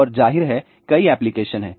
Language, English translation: Hindi, And, of course, there are many applications are there